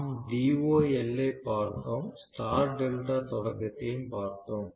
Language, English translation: Tamil, So we looked at DOL, we looked at star delta starting